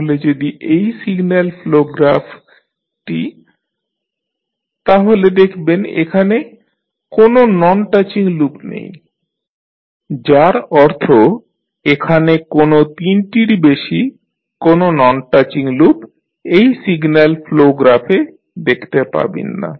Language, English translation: Bengali, So, if you see this signal flow graph you will not be, you will see that there is no any non touching loop, which means there is no, not more than three non touching loops you can see in this particular signal flow graph